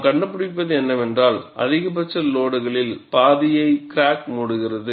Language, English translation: Tamil, And what we find is, the crack closes about half the maximum load